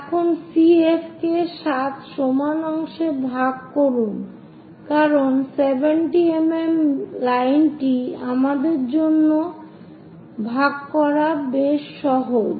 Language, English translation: Bengali, Now divide CF into 7 equal parts, because it is 70 mm is quite easy for us to divide this line